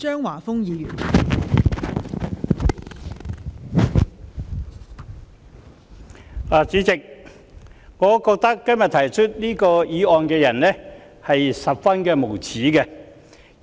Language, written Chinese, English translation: Cantonese, 代理主席，我覺得今天提出這項議案的議員很無耻。, Deputy President I think the Member who moved this motion today is shameless